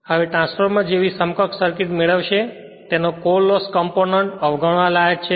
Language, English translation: Gujarati, Now, the when will derive that equivalent circuit like transformer its core loss component is neglected